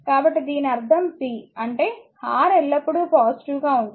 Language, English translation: Telugu, So, this is that means, p; that means, R is always positive, and it is v square